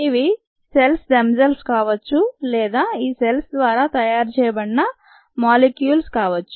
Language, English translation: Telugu, they could be cells themselves or they could be molecules made by these cells